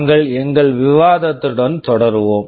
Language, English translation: Tamil, We shall be continuing with our discussion